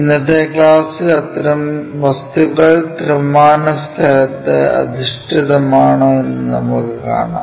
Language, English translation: Malayalam, And, in today's class we will see if such kind of objects are oriented in three dimensional space how to draw those pictures